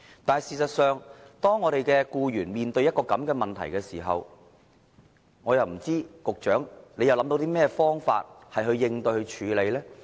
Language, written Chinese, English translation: Cantonese, 但是，當僱員面對這個問題時，我卻看不到局長有甚麼方法來應對和處理。, However I did not see the Secretary come up with any method to respond to and deal with this problem faced by the employees